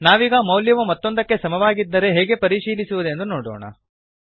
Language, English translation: Kannada, Now let us see how to check if a value is equal to another